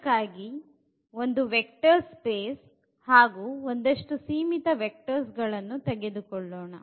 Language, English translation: Kannada, So, V is a vector space we take and then a finite set of vectors